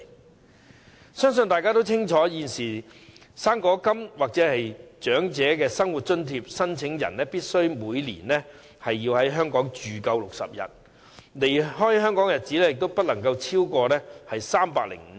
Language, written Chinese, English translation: Cantonese, 我相信大家皆清楚，"生果金"或長者生活津貼申請人現時每年須在香港居住滿60天，而離港日數亦不得多於305天。, I believe Members are aware that at present fruit grant and OALA applicants are required to stay in Hong Kong for 60 days a year and the period of absence from Hong Kong must not exceed 305 days